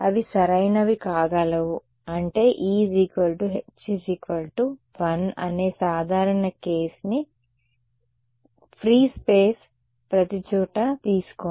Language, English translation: Telugu, They could right i mean just take the simple case e h is equal to 1 everywhere that is your free space right